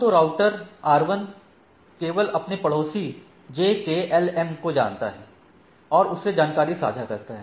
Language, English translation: Hindi, So, if the router RI, know it is only neighbor JKLM and it shares information about the thing